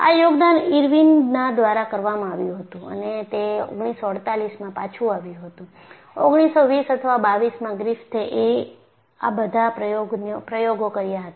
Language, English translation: Gujarati, That contribution was done by Irwin and that came a word way back in 1948, so, 1920 or 22 Griffith with all these experiments